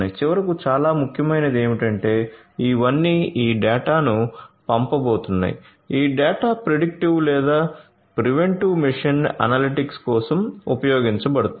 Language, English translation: Telugu, And also what is very important is finally, all of these are going to throwing this data this data will be used for predictive or preventive machine analytics right